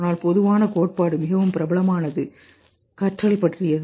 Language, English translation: Tamil, But the commonest theory which is most popular is about learning